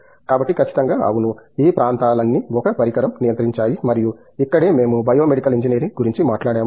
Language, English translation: Telugu, So, definitely yes, all these areas so the controlled an instrumentation and that’s where we talked about bio medical engineering